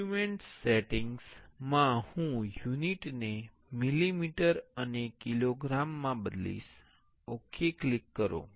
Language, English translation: Gujarati, In the document settings, I will change the unit to millimeter and kilogram oh click ok